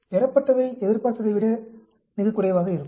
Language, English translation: Tamil, The observed will be what is much less than expected